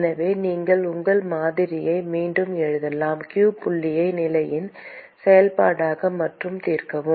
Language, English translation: Tamil, So, you could simply rewrite your model: q dot as a function of position, and solve